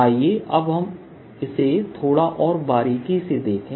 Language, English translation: Hindi, let us now see this little more rigorously